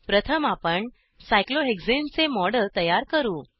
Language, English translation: Marathi, Let us first create a model of cyclohexane